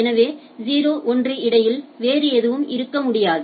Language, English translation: Tamil, So, there cannot be in between 0 1 type of things right